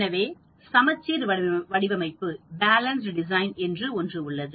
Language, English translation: Tamil, So we have something called Balanced design